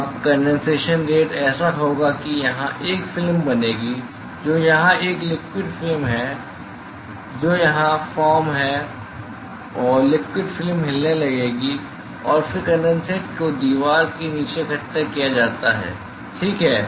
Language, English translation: Hindi, Now the condensation rate will be such that that there will be a film which is form here a liquid film which is form here and the liquid film will start moving and then the condensate is the collected at the bottom of the wall ok